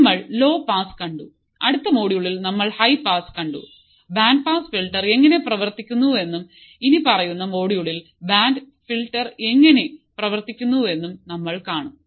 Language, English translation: Malayalam, So, we have seen low pass, we have seen high pass now in the next module we will see how the band pass filter works and in your following module we will also see how the band reject filter works